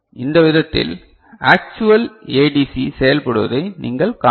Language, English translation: Tamil, So, this is the way you can see an actual ADC is working right